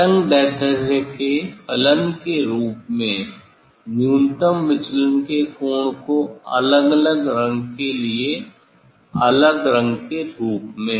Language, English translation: Hindi, How to measure the minimum deviation, angle of minimum deviation as a function of wavelength as a function different color for different color